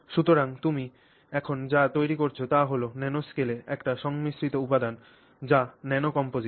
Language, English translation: Bengali, So, what you are now creating is a composite material in the nano composite